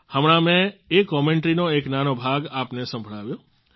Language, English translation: Gujarati, I just played for you a very small part of that commentary